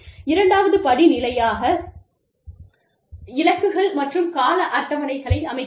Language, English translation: Tamil, Step two is, setting goals and timetables